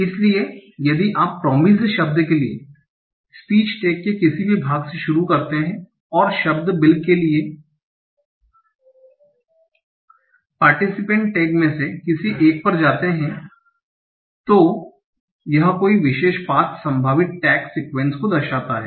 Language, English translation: Hindi, So if you start from any of the part of participates tag for the word promised and go to any of the part of the speech tag for the word bill, any particular path denotes a possible text sequence